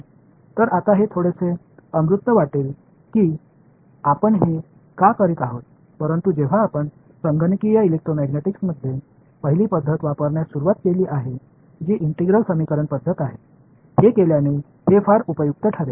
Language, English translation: Marathi, So, again this will seem a little bit abstract right now that why are we doing this, but when we begin to take the first method in computational electromagnetic which is which are integral equation method, it will become very very useful having done this